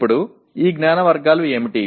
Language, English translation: Telugu, Now what are these categories of knowledge